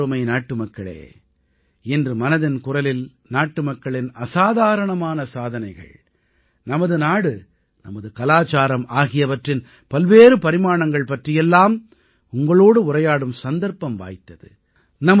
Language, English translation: Tamil, In today's Mann Ki Baat, I have had the opportunity to bring forth extraordinary stories of my countrymen, the country and the facets of our traditions